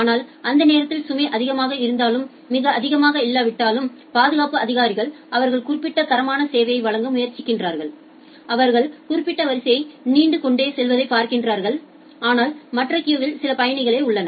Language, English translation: Tamil, But whenever the load is high, but not very high during that time, the security officials they tries to provide certain quality of service, if they finds out that will certain queue is growing longer, but in other queue there are remaining passengers